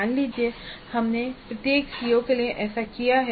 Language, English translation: Hindi, So, assume that we have done that for every CO